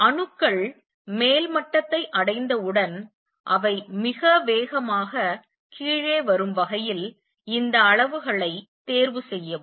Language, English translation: Tamil, And choose these levels in such a way that as soon as the atoms reach the upper level, they come down very fast